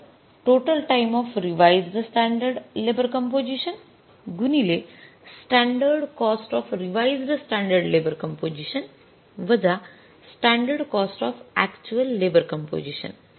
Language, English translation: Marathi, Standard cost of standard composition, standard labor composition minus standard cost of standard composition, standard labor composition minus standard cost of standard cost of actual labor composition